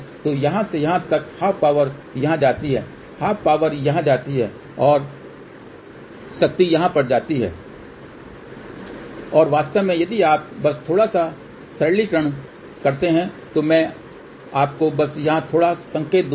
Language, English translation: Hindi, So, from here then half power goes here half power goes here and half power goes over here half power goes over here and in fact if you just do little bit of a simplification I will just give you a little hint here